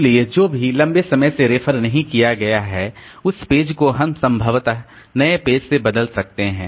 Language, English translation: Hindi, So, whichever page has not been referred to for a long time, so that page we can possibly replace by the new page